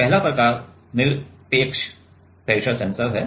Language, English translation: Hindi, The first type is absolute pressure sensor